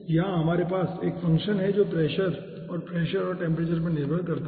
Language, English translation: Hindi, here we are having a function which is pressure and dependant on pressure and temperature